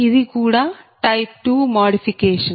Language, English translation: Telugu, this is also type two modification